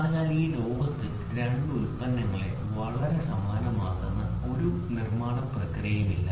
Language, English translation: Malayalam, So, there is no manufacturing process in this world, which can make two products very identical